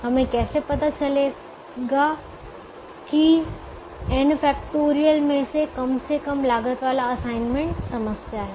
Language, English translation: Hindi, how do we find that one out of the n factorial that has the least cost is the assignment problem